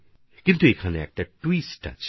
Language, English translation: Bengali, But here is a little twist